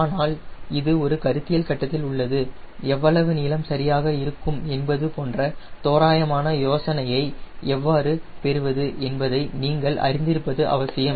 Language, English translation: Tamil, but this are the conceptual stage, this important that you know how to get rough idea how much length will be there, correct